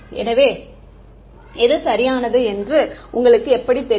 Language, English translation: Tamil, So, how do you know which one is the correct one